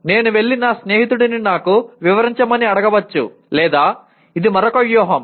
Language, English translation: Telugu, I may go and ask my friend to explain it to me or this is another strategy